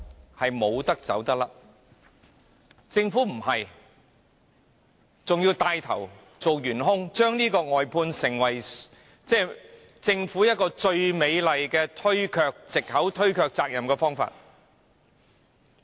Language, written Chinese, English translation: Cantonese, 可是，政府沒有這樣做，反而牽頭成為元兇，將外判制度用作政府推卻責任最美麗的藉口和方法。, However the Government has not done so . It on the contrary takes the lead to play the main culprit using the outsourcing system as the most beautiful excuse and method to shirk its responsibilities